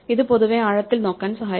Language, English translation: Malayalam, This in general will take us deeper in the words